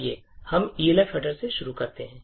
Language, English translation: Hindi, Let us start with the Elf header